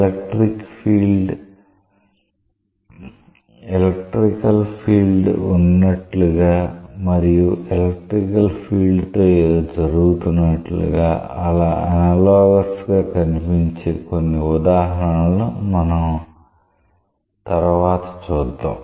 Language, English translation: Telugu, We will see later on a couple of examples where you will find it very much analogous to as if there is an electrical field and something is happening with the electrical field